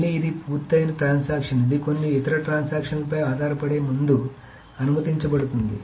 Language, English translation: Telugu, So again, it's a completed transaction that is allowed before it depends on some other transactions